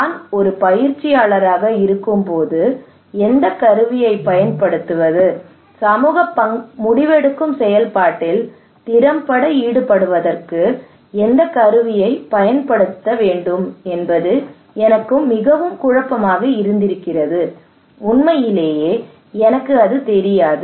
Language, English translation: Tamil, When I am a practitioner, I am very confused which tool to take which tool to adopt in order to effectively involve community into the decision making process, I do not know